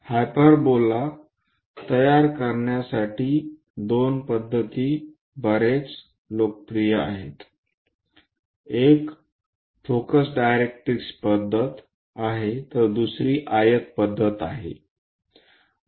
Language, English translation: Marathi, There are two methods quite popular for constructing hyperbola; one is focus directrix method, other one is rectangle method